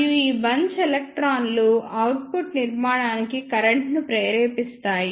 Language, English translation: Telugu, And these bunch electron induced current to the output structure